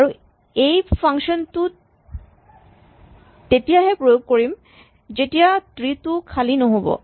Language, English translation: Assamese, So, we will always apply this function only when tree is non empty